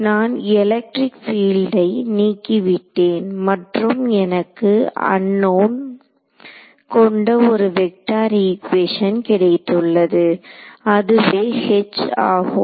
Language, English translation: Tamil, So, I have eliminated the electric field and I have got 1 vector wave equation in my unknown which is H right